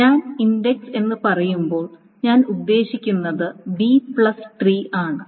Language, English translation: Malayalam, So this is when I say index, I the B plus tree of course